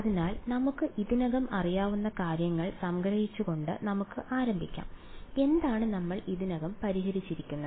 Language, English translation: Malayalam, So, let us sort of start by summarizing what we already know ok, what are we already solved